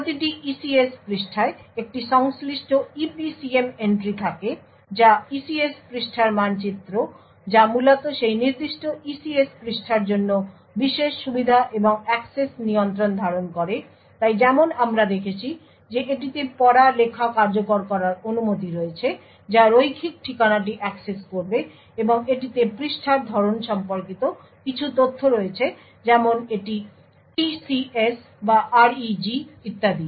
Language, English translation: Bengali, Every ECS page has a corresponding EPCM entry that is the ECS page map which contains essentially the privileges and the access control for that particular ECS page, so for example as we have seen it has the read write execute permissions the address the linear address will access that particular page and also it has some information regarding the page type such as whether it is TCS or REG or so on